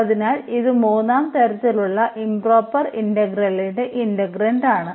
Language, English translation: Malayalam, So, this is the integrand of improper integral of third kind